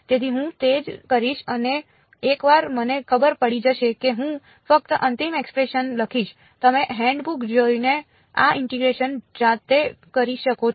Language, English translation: Gujarati, So, that is what I will do and once I know this it turns out I will just write down the final expression you can do this integration yourselves looking at the handbooks